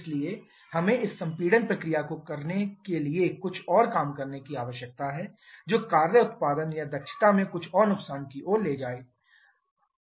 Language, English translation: Hindi, Therefore we need to spend some more work doing this compression process leading to some further loss in the work output or efficiency